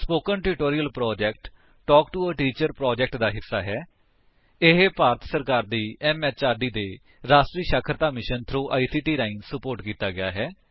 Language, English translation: Punjabi, Spoken Tutorial Project is a part of the Talk to a Teacher project, supported by the National Mission on Education through ICT